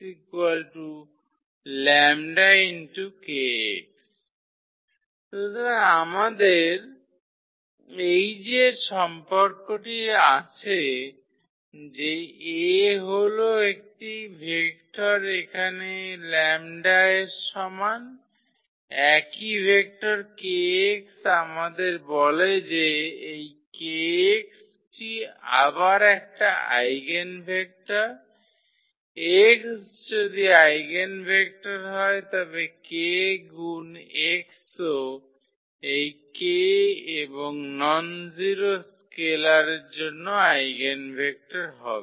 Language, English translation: Bengali, So, we have this relation that A some vector here is equal to lambda the same vector kx which tells us that this kx is the eigenvector again, if the x was the eigenvector the k times x is also the eigenvector for any this k and nonzero scalar